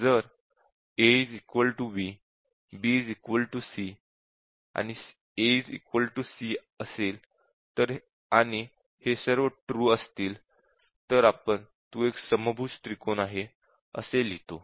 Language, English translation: Marathi, And if a is equal to b, b is equal to c, and a is equal to c, all these are true, then we write that it s a equilateral triangle and so on